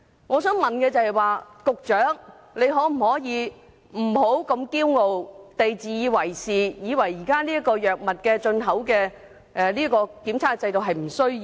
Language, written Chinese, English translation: Cantonese, 我想問，局長可否不要如此驕傲及自以為是，認為藥物進口檢測制度是沒有需要的？, May I ask the Secretary not to be so arrogant and conceited and think that a system for drug testing at import level is unnecessary?